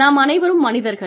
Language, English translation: Tamil, We are human beings